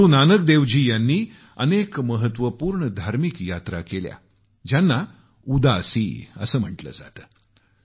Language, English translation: Marathi, Guru Nanak Ji undertook many significant spiritual journeys called 'Udaasi'